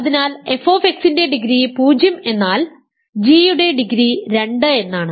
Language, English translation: Malayalam, Remember degree of f plus degree of g here is 2